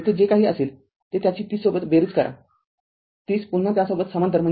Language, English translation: Marathi, Whatever will be there you add it with that 30 30 again is in parallel to that right